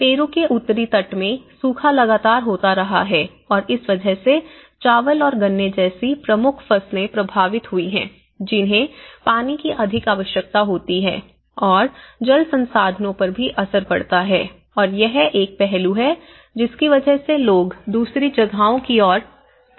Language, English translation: Hindi, Now, one is gradually, the drought in North coast of Peru have been consistently occurring and that has caused the affecting the predominant crops like rice and sugar canes which needs more water and also there is, also impact on the water resources and that is where that is one aspect people tend to migrate to other places